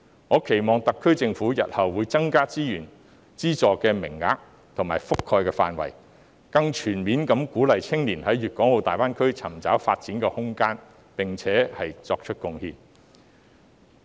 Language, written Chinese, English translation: Cantonese, 我期望特區政府日後會增加資源、資助名額，以及覆蓋範圍，更全面地鼓勵青年在粵港澳大灣區尋找發展空間，並且作出貢獻。, I hope the SAR Government will increase the resources the number of subsidized places and the scope of coverage in future to encourage young people in a more comprehensive manner in exploring room for development and making contribution in GBA